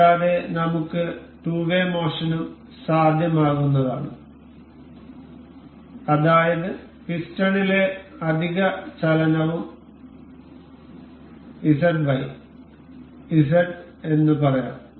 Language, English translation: Malayalam, And we can also move two way motion additional motion in the piston say Z Y and Z